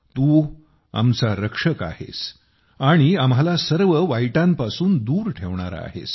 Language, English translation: Marathi, You are the protector of us and keep us away from all evils